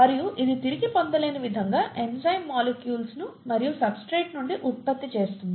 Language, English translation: Telugu, And this irreversibly goes to give the enzyme molecule back and the product from the substrate, okay